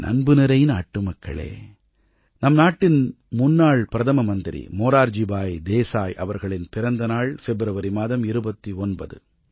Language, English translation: Tamil, My dear countrymen, our former Prime Minister Morarji Desai was born on the 29th of February